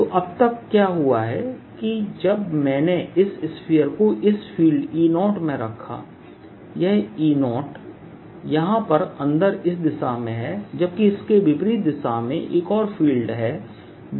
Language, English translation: Hindi, so what has happened now is that when i put this sphere in this field e, there is this e zero inside and there is a field backwards which is p over three epsilon zero